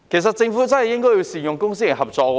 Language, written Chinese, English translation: Cantonese, 政府真的應該善用公私營合作。, The Government should really capitalize on public - private partnership